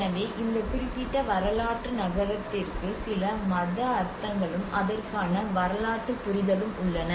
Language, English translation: Tamil, So this particular historic city has some religious meanings and the historical understanding to it